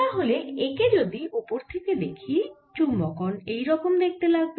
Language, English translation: Bengali, so if i look at it from the top, this is how the magnetization looks